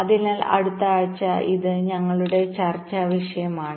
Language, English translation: Malayalam, so this is topic of our discussion next week